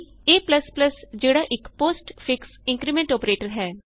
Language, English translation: Punjabi, a is a postfix decrement operator